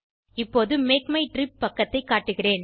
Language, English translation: Tamil, Let me show you the Make my trip page